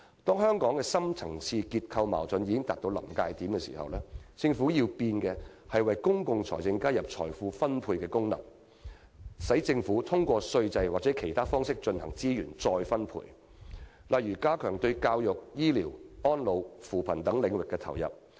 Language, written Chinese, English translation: Cantonese, 當香港的深層次結構矛盾已達臨界點時，政府要改變的，是為公共財政加入財富分配功能，讓政府通過稅制或其他方式進行資源再分配，例如加強對教育、醫療、安老、扶貧等領域的投入。, When Hong Kong is close to tipping point as a result of various deep - seated structural conflicts the Government must change its public finance policies by including the function of wealth distribution so that resources can be redistributed through the tax system or other means for example the making of additional provisions on education public health care elderly services poverty alleviation and so on